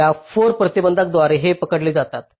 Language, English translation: Marathi, these are captured by these four constraints